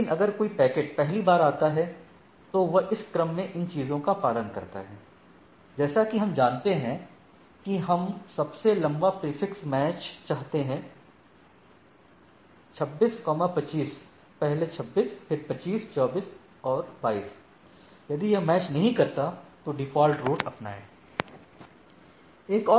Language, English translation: Hindi, But see, if a packet comes first it follows these things in the in this order right, as we know that the we want the longest prefix match, so, 26, 25; first 26, then 25, 24, 22, if does not match go to this default right